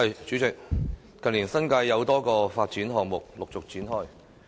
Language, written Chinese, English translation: Cantonese, 主席，近年，新界有多個發展項目陸續展開。, President in recent years a number of development projects in the New Territories have commenced one after another